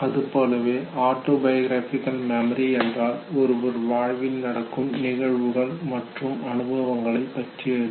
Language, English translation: Tamil, As the name itself suggest autobiographical memory has to do with events and experiences of one’s own life